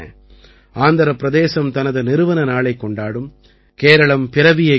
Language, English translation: Tamil, Andhra Pradesh will celebrate its foundation day; Kerala Piravi will be celebrated